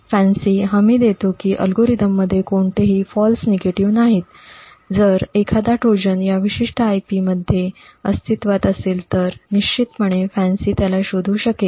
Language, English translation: Marathi, What the FANCI guarantees is that the algorithm has no false negatives that is if a Trojan is present in this particular IP then definitely a FANCI would actually detect it